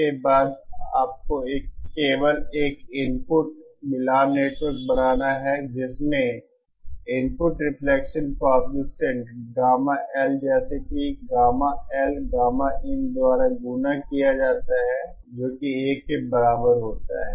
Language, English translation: Hindi, Then only you have to do is simply make an input matching network which has input reflection coefficient Gamma L such that Gamma L multiplied by Gamma in is unity